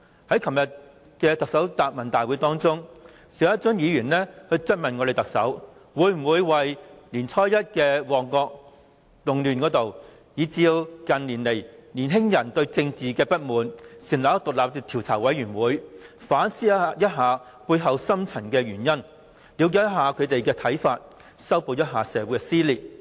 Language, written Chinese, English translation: Cantonese, 在昨天的特首答問會中，邵家臻議員曾質問特首會否為年初一的旺角動亂，以及近年年青人對政治的不滿成立獨立調查委員會，以期反思背後的深層原因，了解他們的看法，以及修補社會撕裂。, In yesterdays Chief Executives Question and Answer Session Mr SHIU Ka - chun asked the Chief Executive if she would set up an investigation committee to look into the Mong Kok riot which took place on the first day of the Lunar New Year why young people were discontent with political matters with a view to reflecting on the deep - seated cause with a view to understanding their views and mending the social cleavages